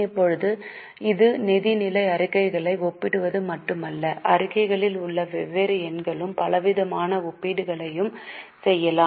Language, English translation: Tamil, Now, this is not just comparing the financial statements, the different numbers in statement, we can also do variety of comparisons